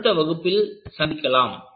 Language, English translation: Tamil, We will see in the next class